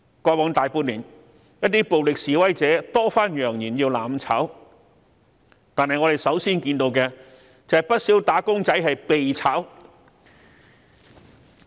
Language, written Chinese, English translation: Cantonese, 過去大半年，一些暴力示威者多番揚言要"攬炒"，但我們首先看到的，便是不少"打工仔"被解僱。, In the better half of last year some violent protesters threatened with mutual destruction repeatedly but what we see is wage earners being laid off